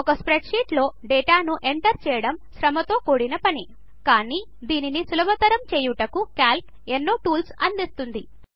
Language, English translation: Telugu, Entering data into a spreadsheet can be very labor intensive, but Calc provides several tools for making it considerably easier